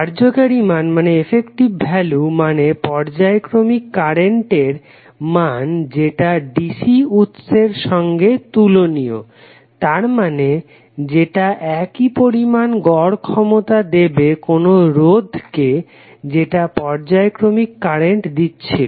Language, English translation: Bengali, The effective value means the value for a periodic current that is equivalent to that the cigarette which delivers the same average power to the resistor as the periodic current does